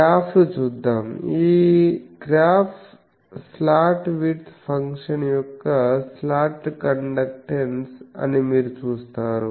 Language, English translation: Telugu, Let me see the graphs, you see this graph this is a slot conductance as a function of slot width